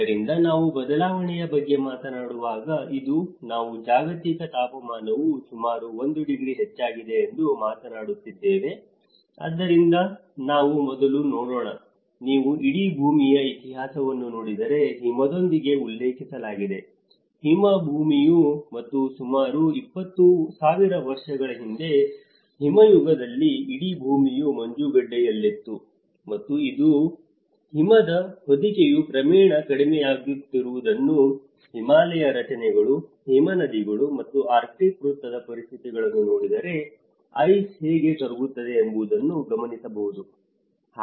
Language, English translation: Kannada, So, when we talk about the change, today we are talking about the global temperature has increased about 1 degree right, so let us see earlier, if you look at the history of the whole earth is referred with the snow; the snowball earth and about in the ice age, 20,000 years ago the whole thing was in half a mile of ice and today, if you see we hardly see that snow cover that is also gradually reducing, you take the conditions of Himalayas, the glacier formations, you take the conditions of the arctic circle how the ice is melting